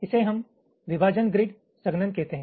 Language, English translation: Hindi, this we call as this split grid compaction